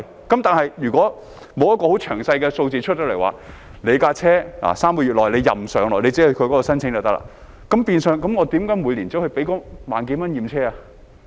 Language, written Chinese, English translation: Cantonese, 但是，如果沒有很詳細的數字，例如車輛可在3個月內自由上落，只要申請便可，那麼市民為何還要每年繳付1萬多元去驗車？, However if there are no detailed figures such as three months of unlimited passage for the vehicle subject only to application being made then why do people still have to pay more than 10,000 a year to have their vehicles examined?